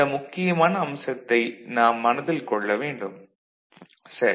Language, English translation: Tamil, So, this is one important aspect which we shall keep in our mind – ok